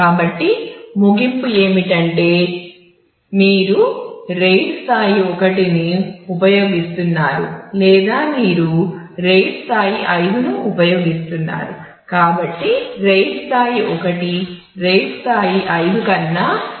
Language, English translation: Telugu, So, the conclusions simply, is that you either use RAID level 1 or you use RAID level 5